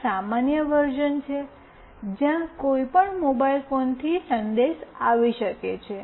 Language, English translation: Gujarati, One is a normal version, where the message can come from any mobile phone